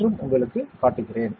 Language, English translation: Tamil, I will show it to you today as well